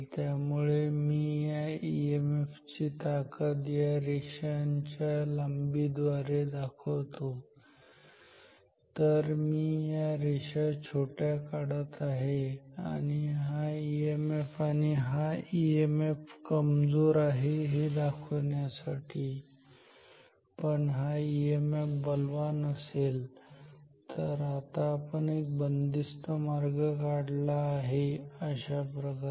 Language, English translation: Marathi, So, let me denote this strength of this EMF I with the length of these lines, so I am drawing shorter lines here to indicate that these EMFs are weak this EMF is weak, but this EMF is strong; now if I draw some closed path say like this imagine a closed path ok